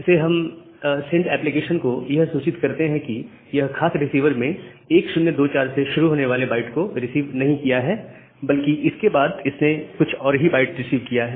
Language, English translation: Hindi, So, this DUPACK, we will inform the sender application that well ah; it has this particular receiver has not received the byte starting from 1024, but it has received certain other bytes after that